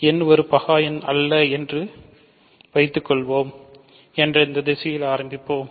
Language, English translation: Tamil, So, here I am assuming n is a prime number